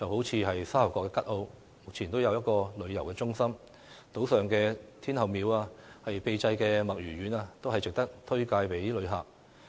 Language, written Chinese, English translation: Cantonese, 以沙頭角吉澳為例，目前已有一個遊客中心，島上的天后廟、秘製墨魚丸均值得向旅客推介。, Take Kat O Sha Tau Kok for example . It already has a tourist centre and the Tin Hau Temple and cuttlefish balls made to a secret recipe on the island are worth recommending to visitors